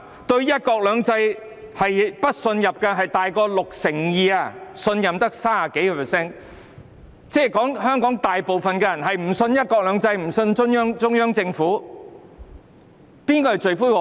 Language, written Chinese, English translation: Cantonese, 對"一國兩制"不信任的多於 62%， 而信任的只有 30% 多，即是說香港大部分人均不相信"一國兩制"和中央政府，誰是罪魁禍首？, More than 62 % of people have no confidence in one country two systems while only some 30 % of people have confidence in it . That means the majority of Hong Kong people do not have confidence in one country two systems and the Central Government . Who is the culprit of this situation?